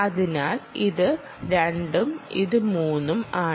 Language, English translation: Malayalam, so this is one, this is two and this is three